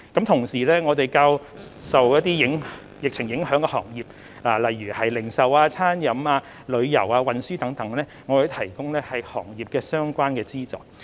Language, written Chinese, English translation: Cantonese, 同時，對於一些較受疫情影響的行業，例如零售、餐飲、旅遊和運輸等，我們也會提供與行業相關的資助。, Also for industries hard hit by the epidemic such as the retailing catering tourism and travelling industries we will provide financial assistance relevant to these industries